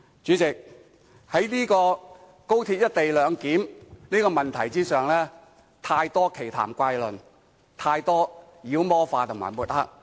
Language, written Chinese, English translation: Cantonese, 主席，在高鐵"一地兩檢"的問題上，有太多奇談怪論，有太多妖魔化及抹黑。, President with regard to the co - location arrangement for XRL there are too many strange remarks or attempts to demonize and smear the issue